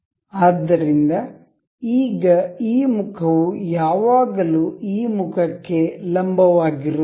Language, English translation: Kannada, So, now, this this face is always perpendicular to this face